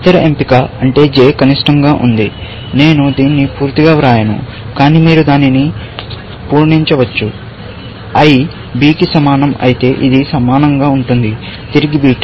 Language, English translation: Telugu, The other option is l s, which means j is min; I will not write this completely, but you can fill it up yourself; this would be similar if i equal to b, return beta